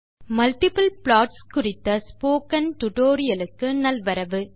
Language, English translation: Tamil, Hello friends and Welcome to this spoken tutorial on Multiple plots